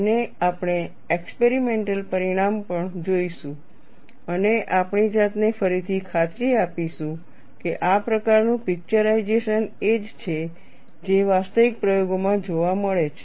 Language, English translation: Gujarati, And you would also see the experimental result and reconvince our self, that this kind of picturization is what is seen in the actual experimentation